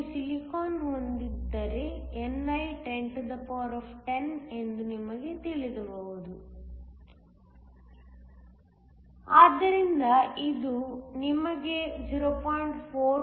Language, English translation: Kannada, If you have silicon we know that ni is 1010, so that this gives you a value of 0